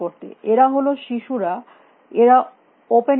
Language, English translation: Bengali, They were the children they would be in open